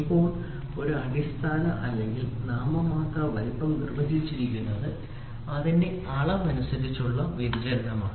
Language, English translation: Malayalam, So, now, a basic or a nominal size is defined as a size based on which the dimension deviation are given